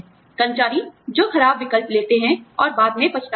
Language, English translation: Hindi, Employees, who make poor choices, and later regret